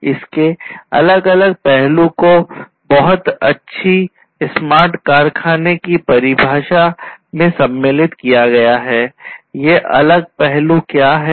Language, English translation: Hindi, So, there are different different aspects that are captured over here through this very good definition of smart factory, what are these different aspects